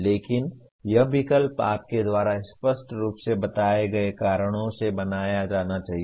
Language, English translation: Hindi, But that choice has to be made by you for the very clearly stated reasons